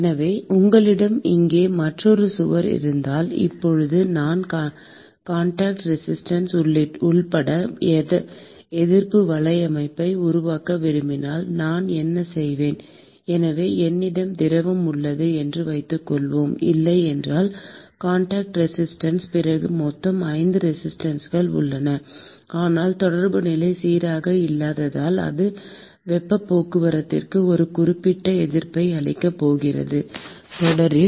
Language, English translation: Tamil, So, supposing if you have another wall here, now if I want to construct resistance network including the contact resistance, then what I would do is so, supposing I have fluid which is flowing here, then you will have if there is no Contact Resistance, then there total of 5 resistances, but because the contact position is not smooth, it is going to offer a certain resistance to heat transport;l and therefore, you will have an additional network which is basically the Contact Resistance which will come in series